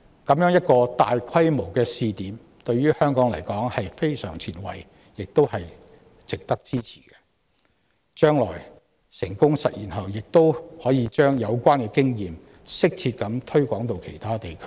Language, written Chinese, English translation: Cantonese, 這樣一個大規模試點，對於香港而言是非常前衞，亦值得支持，而將來成功實踐後亦可把有關經驗適切地推廣到其他地區。, Such a large - scale testing ground is very progressive in the context of Hong Kong and also worthy of our support . With success achieved in the future the relevant experience can be applied to other areas appropriately